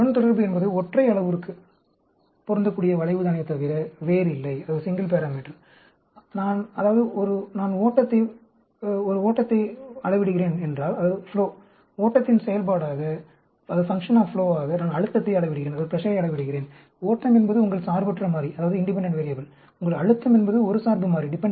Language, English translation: Tamil, So, regression is nothing but a curve fitting for a single parameter; that means, if I am measuring flow as a, sorry, I am measuring pressure as function of flow, flow is your independent variable; your pressure is a dependent variable